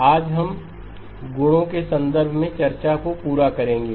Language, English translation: Hindi, Today, we will complete the discussion in terms of the properties